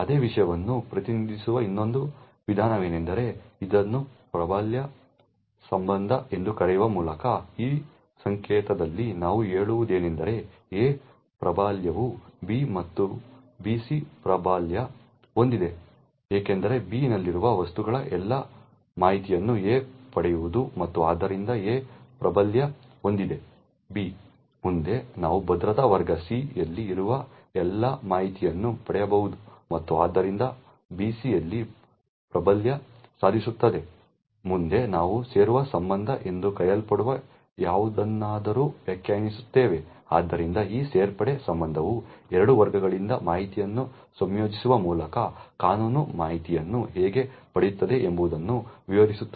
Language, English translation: Kannada, Another way of representing the same thing is by using this so called dominance relation, in this notation what we say is that A dominates B and B dominates C, this is because A can obtain all the information of objects present in B and therefore A dominates B, further we can obtain all the information present in security class C and therefore B dominates C, further we also define something known as the join relation, so this join relation defines how legal information obtained by combining information from two classes